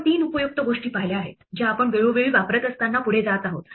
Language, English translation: Marathi, What we have seen our three useful things which we will use from time to time as we go along